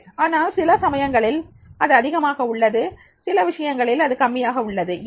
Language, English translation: Tamil, But in some aspects it is high, but in some aspects it is low